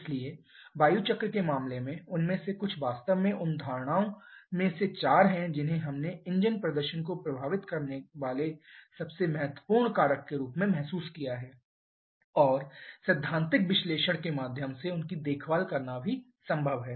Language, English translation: Hindi, Now in case of fuel air cycle quite a few of them actually 4 of the assumptions we have realized which are the most important factors in influencing the engine performance and also it is possible to take care of them through theoretical analysis